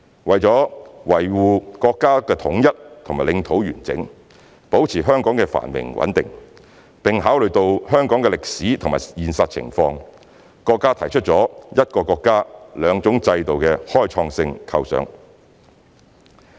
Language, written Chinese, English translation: Cantonese, 為了維護國家的統一和領土完整，保持香港的繁榮和穩定，並考慮到香港的歷史和現實情況，國家提出了"一個國家，兩種制度"的開創性構想。, Upholding national unity and territorial integrity maintaining the prosperity and stability of Hong Kong and taking account of Hong Kongs history and realities the country put forward the pioneering concept of one country two systems